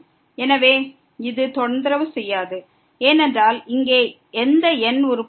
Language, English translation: Tamil, So, this will not disturb because there is no term here